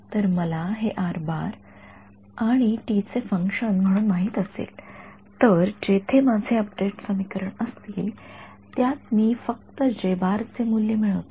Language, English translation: Marathi, So, if I know this as a function of r and t, then wherever my update equations are I just simply add this value of J